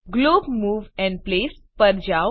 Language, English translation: Gujarati, Go to Glob Move and Place